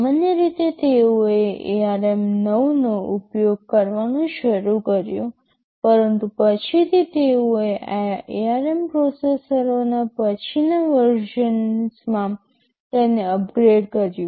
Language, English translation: Gujarati, Typically they started to use ARM 9, but subsequently they updated or upgraded them to the later version of ARM processors